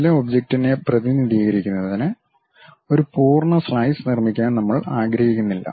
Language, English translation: Malayalam, We do not want to make complete slice to represent some object